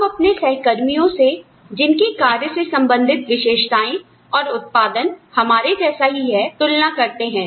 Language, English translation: Hindi, We compare ourselves to our peers, who have the same kind of characteristics, job related skills, and output, as we do